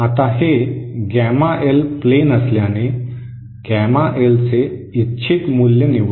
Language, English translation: Marathi, Now, since this is the gamma L plane, select the desired value of gamma L